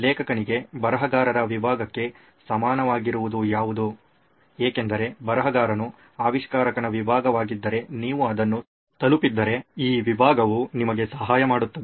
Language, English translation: Kannada, What is equivalent of a writer’s block for an author, for a writer is an inventor’s block if you have reached that then this method will help you